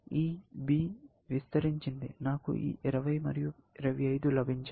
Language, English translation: Telugu, This B expanded so that, I got this 20 and 25